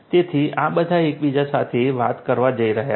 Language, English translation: Gujarati, So, all of these are going to talk to each other